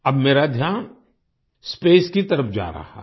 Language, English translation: Hindi, Now my attention is going towards space